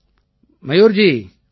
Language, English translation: Tamil, Mayur ji Namaste